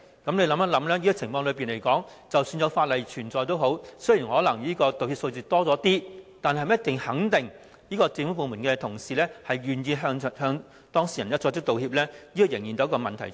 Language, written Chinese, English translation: Cantonese, 試想一下，在這情況下，即使訂有法例，道歉的數字可能會略有增加，但能否肯定政府部門的同事願意向當事人作出道歉，仍然成疑。, That being the case we can well imagine that even though the enactment of the Bill may bring a slight increase in the number of apologies it is still doubtful whether the staff of government departments will be willing to apologize to the affected persons